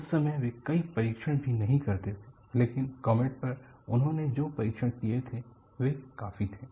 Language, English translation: Hindi, In those times, they were not doing even that many tests,but the test that they had conducted on comet were quite many